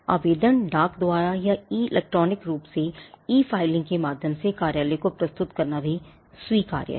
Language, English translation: Hindi, The application can be submitted to the office by post or electronically e filing is also permissible